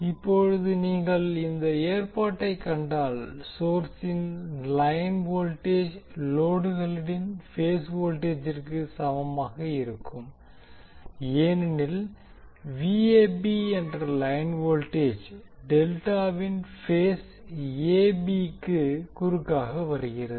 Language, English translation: Tamil, Now if you see these particular arrangement, the line voltage of the source will be equal to phase voltage of the load because line voltage that is Vab is coming across the phase AB of the delta